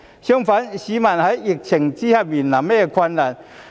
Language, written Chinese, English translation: Cantonese, 相反，市民在疫情之下面臨甚麼困難？, What are the difficulties faced by the people under the epidemic?